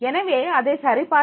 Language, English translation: Tamil, So that is to be checked